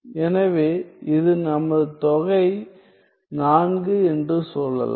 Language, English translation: Tamil, So, let us say this is my 4